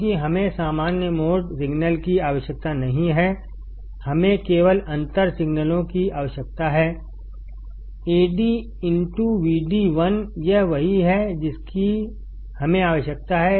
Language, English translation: Hindi, Because we do not require common mode signal, we only require the differential signals Ad into Vd, this is what we require